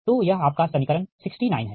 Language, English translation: Hindi, this is equation sixty nine